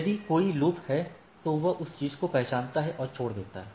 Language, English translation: Hindi, If there is a loop it identifies and discard the thing